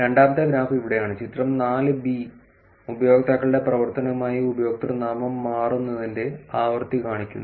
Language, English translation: Malayalam, Which is the second graph is here figure 4 shows the frequency of username change with the users' activity